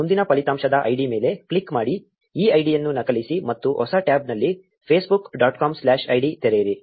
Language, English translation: Kannada, Click on the id of the next result copy this id and open Facebook dot com slash id in a new tab